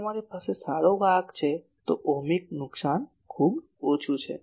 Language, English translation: Gujarati, If you have a good conductor , Ohmic loss is very very small